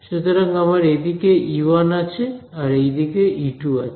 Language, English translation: Bengali, So, I have E 1 over here and I have E 2 on this side